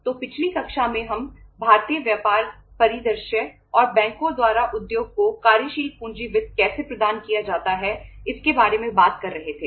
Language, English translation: Hindi, So in the previous class we were talking about the Indian business scenario and how the working capital finance is provided by the banks to the industry